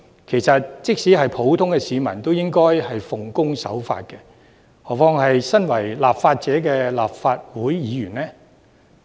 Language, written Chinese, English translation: Cantonese, 其實，即使是普通市民，也應該奉公守法，遑論身為立法者的立法會議員呢？, In fact even civilians should abide by the law not to mention the Legislative Council Members who are lawmakers right?